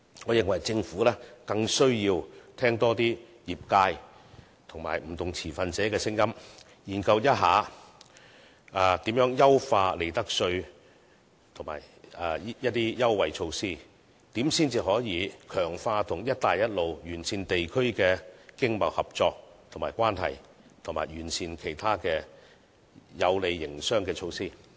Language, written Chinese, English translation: Cantonese, 我認為政府更需要多聆聽業界及不同持份者的聲音，研究如何優化利得稅及一些優惠措施，如何才能強化與"一帶一路"沿線地區的經貿合作及關係，以及完善其他有利營商的措施。, In my opinion the Government has to listen more to the voices from the industries and different stakeholders . It should study how to improve the profits tax system and certain concessionary measures how to step up economic and trade cooperation and relations with the Belt and Road regions and how to improve other trade facilitating measures